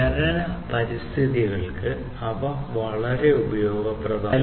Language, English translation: Malayalam, They are also very useful for mining environments